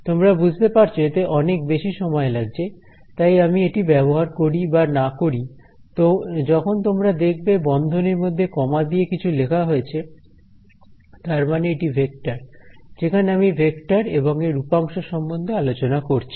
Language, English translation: Bengali, You can see that this takes more time to write then this; so, I am going to use this more often or not it is understood when you see something with in brackets with commas it is a vector where I am talking about and its components